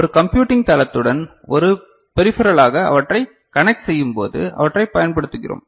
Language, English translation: Tamil, And we make use of them in the when we connect them as a peripheral to a computing platform